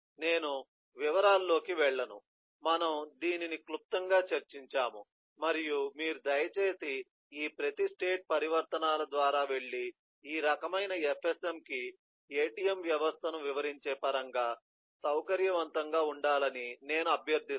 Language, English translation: Telugu, eh, we have just eh briefly discus this and I will request that you please go through each of these state transitions and eh get comfortable in terms of describing a eh atm system to this kind of an fsm